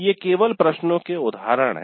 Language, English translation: Hindi, This is just an example